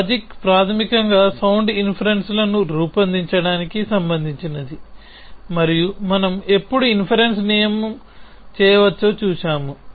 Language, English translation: Telugu, Logic is basically concerned with making sound inferences and we have seen as to when can a rule of inference we sound